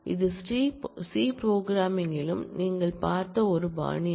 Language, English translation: Tamil, This is a style which you have seen in C programming as well